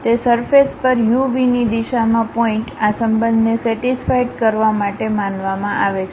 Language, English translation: Gujarati, On that surface the point in the direction of u v, supposed to satisfy this relation